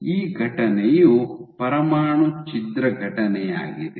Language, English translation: Kannada, So, this event is a nuclear rupture event